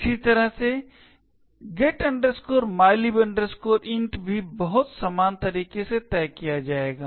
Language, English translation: Hindi, Similarly, the getmylib int would also be fixed in a very similar manner